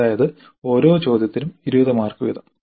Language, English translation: Malayalam, That means each question is for 20 marks